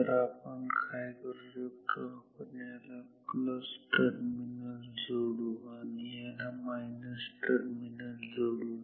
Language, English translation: Marathi, So, what we can do let us connect this to the plus terminal and let me connect this to the minus terminal